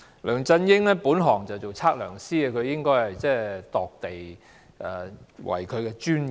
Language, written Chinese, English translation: Cantonese, "梁振英的本行是測量師，量度土地是他的專業。, LEUNG Chun - ying is a surveyor by profession and he is professional in land surveying